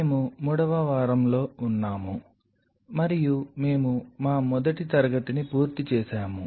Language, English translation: Telugu, So, we are in week 3 and we have finished our first class